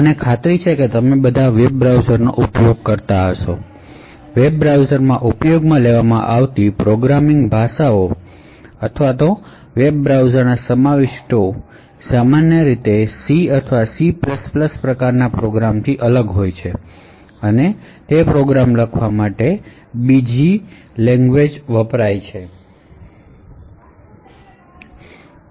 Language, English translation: Gujarati, So all of you I am sure must have used a web browsers and what you would have noticed that programming languages used in web browsers or to actually display contents in web browsers are very much different from the regular C or C++ type of programs that are typically used to write applications